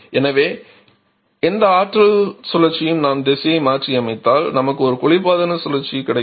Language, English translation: Tamil, So, any power cycle if we reverse the directions we get a refrigeration cycle